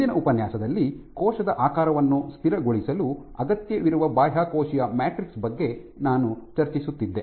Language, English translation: Kannada, So, in the last lecture, I started discussing about the Extracellular Matrix right the form ground, which is required for stabilizing cell shape